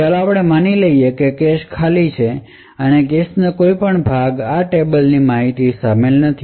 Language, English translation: Gujarati, So first let us assume that the cache is clean, and no part of the cache comprises contains any of this table information